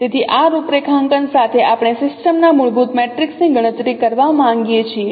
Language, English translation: Gujarati, So with this configuration we would like to compute the fundamental matrix of the system